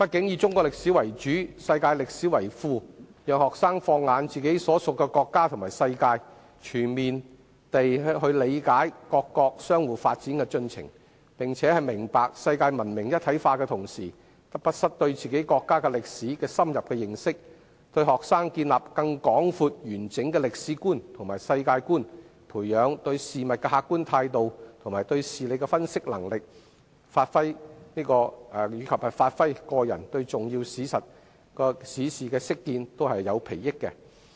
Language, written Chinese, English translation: Cantonese, 以中史為主，世界歷史為副，讓學生放眼自己所屬的國家和世界，全面理解各國相互發展的進程，並且在明白世界文明一體化的同時，亦不失對自己國家歷史的深入認識，這對學生建立更廣闊完整的歷史觀和世界觀，培養對事物的客觀態度和對事理的分析能力，以至發揮個人對重要史事的識見，都有裨益。, By using Chinese history as the backbone and supplemented with world history students can look at their own country and the rest of the world to gain a comprehensive understanding of the development progress of various countries . In that case they will learn the integrated development of world culture without missing the chance of gaining an in - depth understanding of the history of their own country . All these help broaden students historical and global perspectives develop their objectivity and analytical power thereby enabling students to make good sense of key historical events